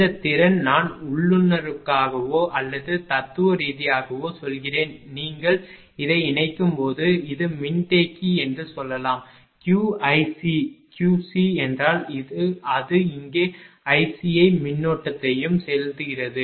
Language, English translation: Tamil, This capacity I mean institutively or philosophically you can tell this is capacitor when you connect it is Q i C, Q C means it is also injecting current here i C